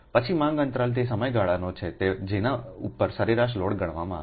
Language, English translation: Gujarati, right then demand interval: it is the time period over which the average load is computed